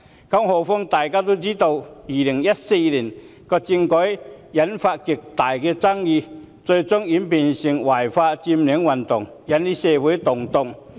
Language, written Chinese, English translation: Cantonese, 更何況，大家都知道2014年政改諮詢引發極大爭議，最終演變成違法佔領運動，引起社會動盪。, What is more we all know that the consultation on political reform in 2014 had induced considerable controversies which eventually developed into the illegal occupation movement leading to social unrest